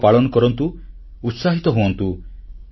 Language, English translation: Odia, Celebrate festivities, enjoy with enthusiasm